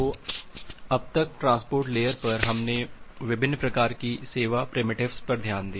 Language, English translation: Hindi, So, till now at the transport layer we have to looked into different kind of service primitives